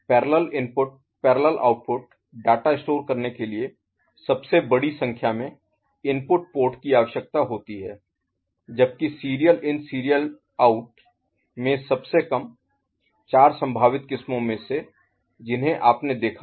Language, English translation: Hindi, Parallel input parallel output option for data storage requires largest number of input ports while serial in serial out requires the least of the four possible varieties that you have seen